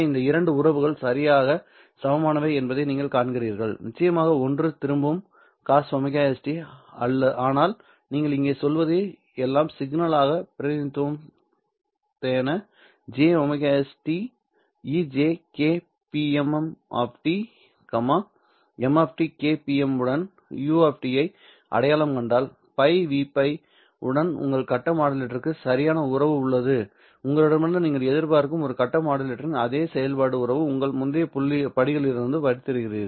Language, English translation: Tamil, One of course written in terms of cos omega s t but all that you are saying here is nothing but the complex relation the complex representation would be e to the power j omega s t e to the power j k p m m of t right if you identify u of t with m of t k p m with pi by v pi then your face modulator has exactly the same functional relationship as a face modulator that you would expect from your or you would have studied from your earlier courses